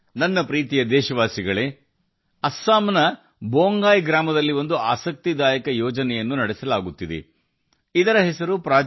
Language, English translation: Kannada, My dear countrymen, an interesting project is being run in Bongai village of Assam Project Sampoorna